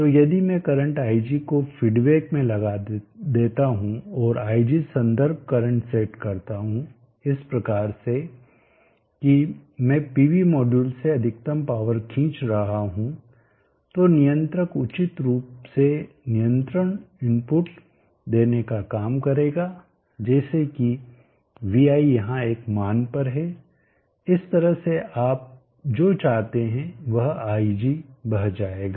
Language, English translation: Hindi, So if I feed back the current ig and set the reference current ig reference such that I am drawing the peak power from the pv modules then the controller will do the job of appropriately giving the control input such that vi is at a value here such that ig what you desire will flow